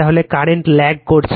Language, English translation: Bengali, So, current is lagging